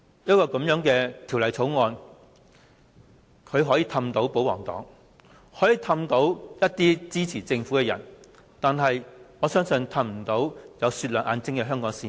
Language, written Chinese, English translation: Cantonese, 政府可以用這項《條例草案》哄騙保皇黨和支持政府的人，但我相信卻無法哄騙眼睛雪亮的香港市民。, The Government may use the Bill to coax the pro - Government camp and people who support the Government but I believe it can never deceive the discerning eyes of Hong Kong people